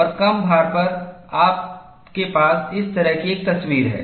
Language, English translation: Hindi, And at the reduced load, you have a picture like this